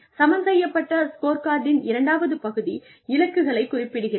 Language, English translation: Tamil, The second part of a balanced scorecard is goals